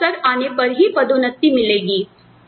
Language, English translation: Hindi, You only get a promotion, when opportunities open up